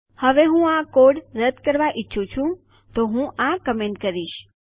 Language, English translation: Gujarati, Now I want to get rid of this code so Ill comment this out